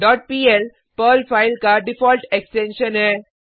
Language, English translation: Hindi, dot pl is the default extension of a Perl file